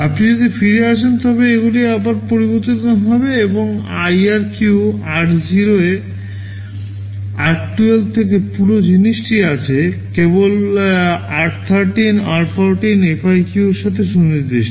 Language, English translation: Bengali, If you come back, they will again change and in IRQ r0 to r12 the whole thing is there, only r13 r14 are specific to FIQ